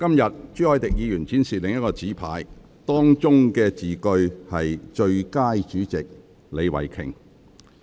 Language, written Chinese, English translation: Cantonese, 今天，朱凱廸議員展示另一個紙牌，當中的字句是"最佳主席李慧琼"。, Today Mr CHU Hoi - dick displayed another placard reading Best Chairman Starry LEE